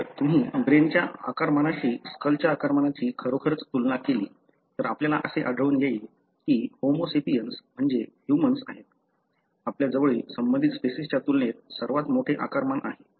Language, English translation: Marathi, If you really compare the skull volume relative to the brain size, we will find that the Homo sapiens that is the humans, we have the largest volume as compared to our closely related species